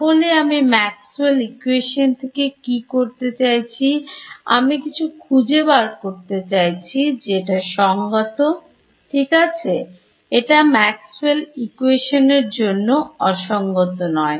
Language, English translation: Bengali, So, what I am doing is from Maxwell’s equation I am finding out something which is consistent right this is not inconsistent with Maxwell’s equations